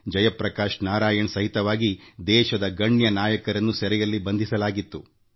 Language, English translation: Kannada, Several prominent leaders including Jai Prakash Narayan had been jailed